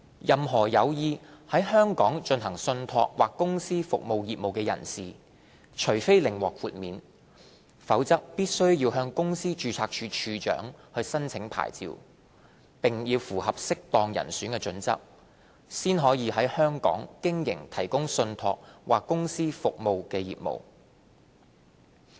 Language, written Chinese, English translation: Cantonese, 任何有意在香港進行信託或公司服務業務的人士，除非另獲豁免，否則必須向公司註冊處處長申請牌照，並符合"適當人選"準則，方可在香港經營提供信託或公司服務的業務。, Anyone who wishes to engage in trust or company service business in Hong Kong must apply for a licence from the Registrar of Companies and satisfy a fit - and - proper test before they can provide trust or company services as a business in Hong Kong unless otherwise exempted